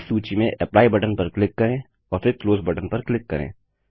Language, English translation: Hindi, Click on the Apply button and then click on the Close button in this list